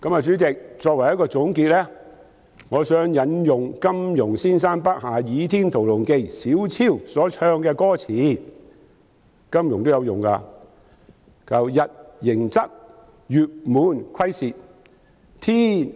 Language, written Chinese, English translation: Cantonese, 主席，作為總結，我想引用金庸先生筆下《倚天屠龍記》小昭所唱的歌詞，金庸也曾引用："日盈昃，月滿虧蝕。, President in conclusion I would like to quote the lyrics of a song sung by Xiao Zhao a character in the novel The Heavenly Sword and Dragon Saber written by Ji Yong . Ji Yong also quoted that before The sun rises and sets the moon waxes and wanes